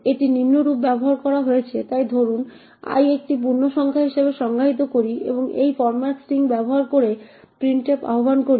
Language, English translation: Bengali, It is used as follows, so suppose we define i as an integer and invoked printf using this format string